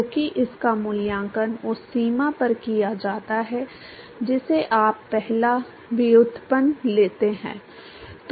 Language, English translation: Hindi, Because it is evaluated at the boundary you take the first derivative